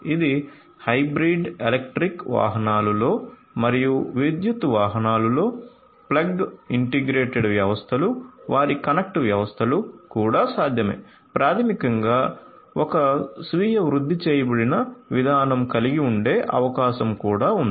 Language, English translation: Telugu, It is also possible to integrate plug in electric vehicles and plug in hybrid electric vehicles and their connected systems, it is also possible to basically have a self optimized system and so on